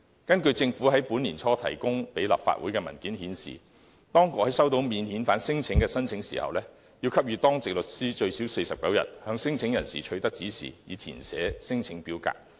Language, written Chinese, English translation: Cantonese, 根據政府在本年年初提供立法會的文件顯示，當局在收到免遣返聲請申請時，要給予當值律師最少49天向免遣返聲請申請人取得指示，以填寫聲請表格。, According to a paper submitted by the Government to the Legislative Council early this year the authorities are required to give the Duty Lawyer Service 49 days to obtain the consent from non - refoulement claimants for completing their claim form